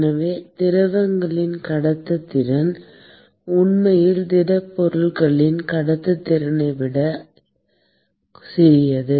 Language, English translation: Tamil, And therefore, the conductivity of liquids is actually smaller than that of conductivity of the solids